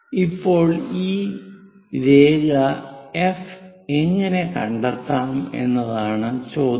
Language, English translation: Malayalam, Now the question is, how to find this line F somewhere there